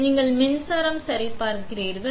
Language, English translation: Tamil, So, you check the power supply